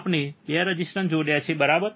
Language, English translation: Gujarati, We have connected 2 resistors, right